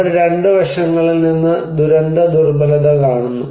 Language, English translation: Malayalam, So, they are looking disaster vulnerability from 2 aspects